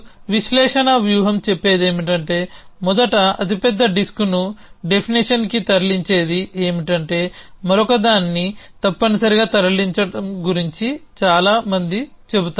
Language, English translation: Telugu, And analysis strategy says that first whatever moving the biggest disk to the definition then many about moving the other this essentially